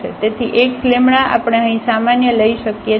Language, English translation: Gujarati, So, x we can take common here